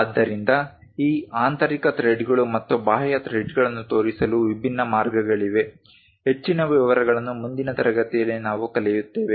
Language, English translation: Kannada, So, there are different ways of showing these internal threads and external threads, more details we will learn in the future classes about that